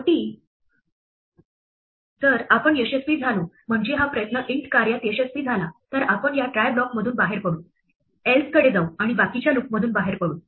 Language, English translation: Marathi, Finally, if we succeed, that is this try succeeds the int works then we will exit from this try block go to the else and the else will break out to of the loops